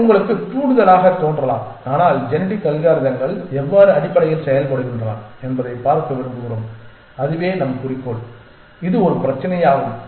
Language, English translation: Tamil, It may sound like trigger to you, but we want to see how genetic algorithms work essentially and that is our goal and it is a problem that we understand quite clearly essentially